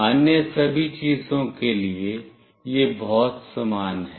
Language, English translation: Hindi, For all other things, it is pretty similar